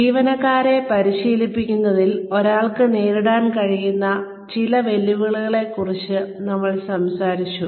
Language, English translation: Malayalam, We talked about some challenges, that one can face, in training the employees